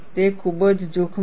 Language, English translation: Gujarati, It is very, very dangerous